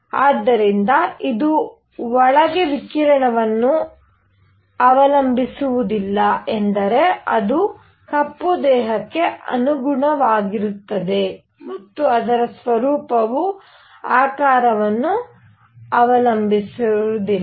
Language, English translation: Kannada, So, it does not depend radiation inside is that corresponding to a black body and its nature does not depend on the shape